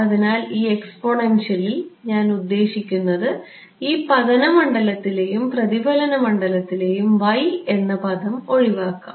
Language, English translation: Malayalam, So, in this exponential I mean this incident and reflected fields, the y term will just cancel off right yeah